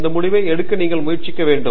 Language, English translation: Tamil, And that is how you should try to make this decision